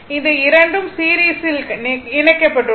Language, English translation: Tamil, These 2 are connected in series